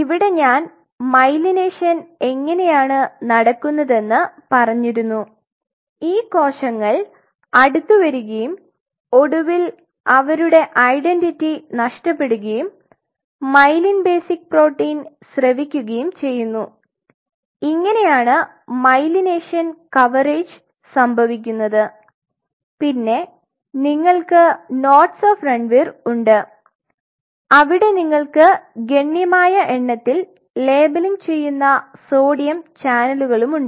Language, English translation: Malayalam, So, now in terms of the oligodendrocyte myelination, so here I told you the way the myelination is happening these cells are coming close and eventually losing their identity and secreting myelin basic protein which is this one and this is how the myelination coverage is happening and then you have the nodes of Ranvier where you have a significant population of sodium channels which are labeling